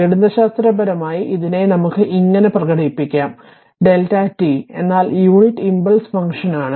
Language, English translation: Malayalam, Now, mathematically it can be expressed as; delta t we represent delta t your what you call that unit impulse function right